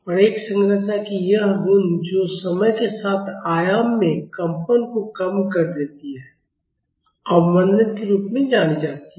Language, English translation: Hindi, And, this property of a structure which makes its vibration diminishes in amplitude with time is known as damping